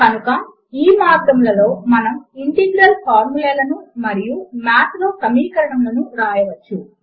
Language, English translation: Telugu, So these are the ways we can write integral formulae and equations in Math